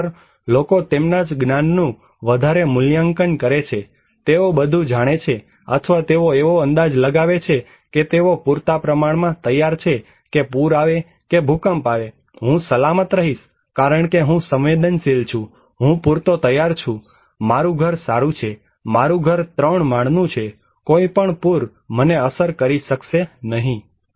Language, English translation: Gujarati, Actually, people overestimate their knowledge that they know all, or people estimate that they are prepared enough that even flood will can earthquake will happen I will be safe because I am not that vulnerable, I am prepared enough, my house is good, my house is three storied, no flood can affect me